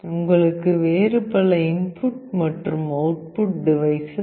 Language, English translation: Tamil, You require various other input output devices